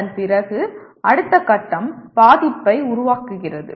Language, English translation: Tamil, After that the next stage is affective create